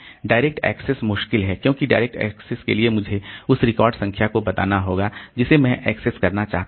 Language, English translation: Hindi, Direct access is difficult because for direct access I have to tell the record number that I want to access